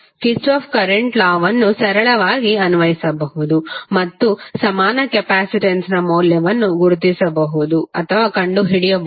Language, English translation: Kannada, You can simply apply Kirchhoff current law and you can find out the value of equivalent capacitance